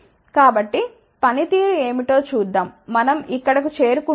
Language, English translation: Telugu, So, let us see what is the performance we get over here ok